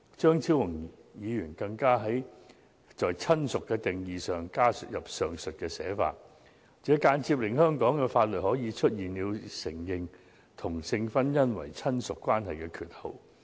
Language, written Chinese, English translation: Cantonese, 張超雄議員更在"親屬"的定義加入上述寫法，間接令香港法律出現承認同性婚姻為親屬關係的缺口。, Dr Fernando CHEUNG adds the above to the definition of relative which will indirectly create a gap as this implies that the law of Hong Kong recognizes same - sex marriage as a relationship